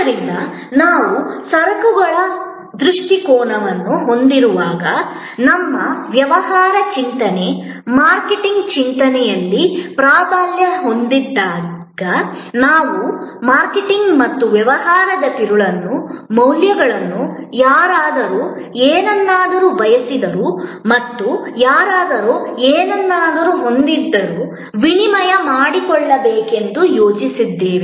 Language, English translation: Kannada, So, when we had the goods perspective, dominating our business thinking, marketing thinking, we thought of marketing and the core of business as exchange a values, somebody wanted something and somebody had something